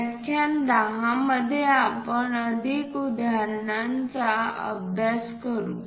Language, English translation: Marathi, In lecture 10, we will practice more examples